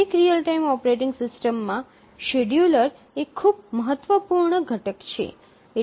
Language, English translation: Gujarati, So, every real time operating system, the scheduler is a very important component